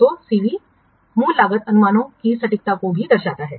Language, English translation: Hindi, So, CV also indicates the accuracy of the original cost estimates